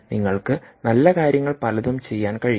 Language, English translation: Malayalam, you know you can do many nice things